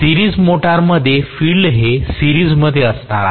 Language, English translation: Marathi, Series motor, as I told you the field is going to be in series